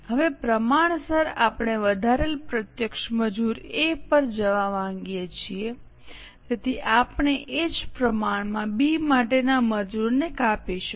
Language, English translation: Gujarati, Now proportionately since we want more direct labour to go to A, we will cut down the labour for B in the same proportion by the same quantum